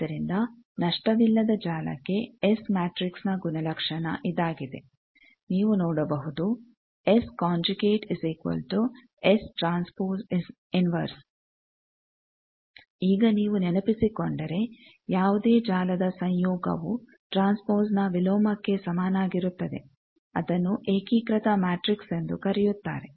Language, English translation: Kannada, So, for a lossless network, the S matrix is this property you see S conjugate is equal to S transpose inverse that, now, if you remember any network whose conjugate is equal to inverse of transpose that is called a unitary matrix